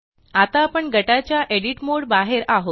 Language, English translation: Marathi, We are now out of the Edit mode for the group